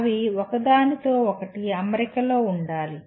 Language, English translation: Telugu, They should be in alignment with each other